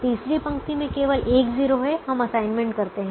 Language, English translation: Hindi, the second row has three zeros, so we don't make an assignment